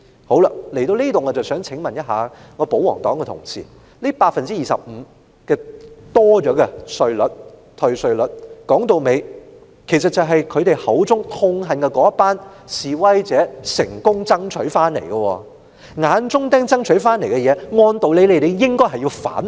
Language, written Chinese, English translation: Cantonese, 好了，至此我想請問我的保皇黨同事，這多出的25個百分點退稅率，歸根究底是他們口中痛恨的那群示威者成功爭取回來的；由眼中釘爭取回來的東西，按道理，他們應該反對。, So now I would like to ask my royalist colleagues at the end of the day these extra 25 percentage points in tax rebate are successfully gained by the group of demonstrators whom they said they hated deeply . Logically they should raise opposition to the things which were gained through the efforts of their eyesore